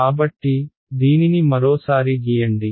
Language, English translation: Telugu, So, let us draw this once again